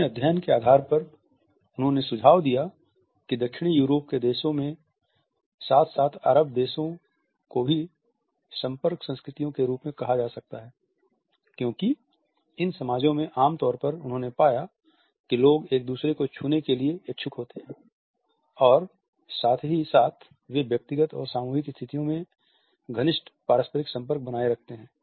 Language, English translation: Hindi, On the basis of his studies he has suggested that countries of Southern Europe as well as Arabic countries can be termed as being contact cultures because in these societies normally he found that people are prone to touching each other and at the same time they maintain closer interpersonal contact in dyadic and team situations